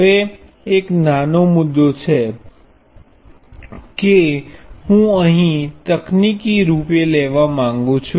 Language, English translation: Gujarati, Now, there is one subtle point that I want to bring up here technically